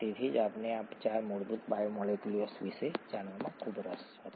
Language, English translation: Gujarati, That’s why we were so interested in knowing about these 4 fundamental biomolecules